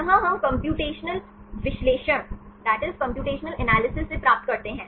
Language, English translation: Hindi, This we obtain from computation analysis